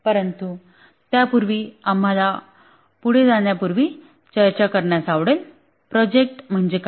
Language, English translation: Marathi, But before that, we like to discuss, before proceeding further, we like to discuss what are projects